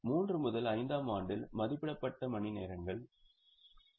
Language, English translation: Tamil, In year 3 to 5 to 5, the estimated number of hours are 7,000